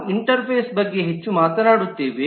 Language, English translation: Kannada, Interfaces we will talk about more